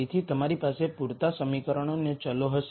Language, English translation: Gujarati, So, you will have enough equations and variables